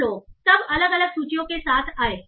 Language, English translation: Hindi, And people then came up with different different lists